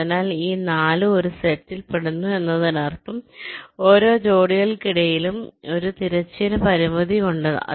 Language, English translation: Malayalam, so these four belong to a set means there is a horizontal constraint between every pair